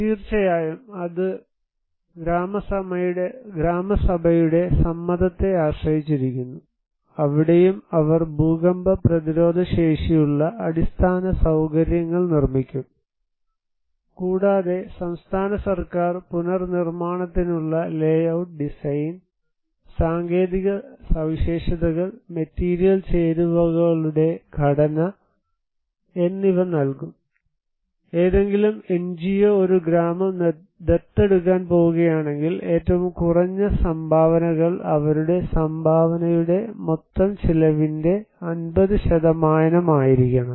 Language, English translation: Malayalam, Of course, it depends on the consent of Gram Sabha, the local government there and there they will build earthquake resistance infrastructure facilities, and the state government will provide layout design, technical specifications, compositions of material ingredients for the reconstructions, and the minimum contributions, if any NGO is going to adopt a village, their contribution should be 50% of the total cost